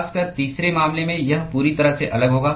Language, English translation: Hindi, Particularly in the third case it will be completely different